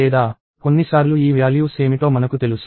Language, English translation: Telugu, Or, sometimes I know what these values are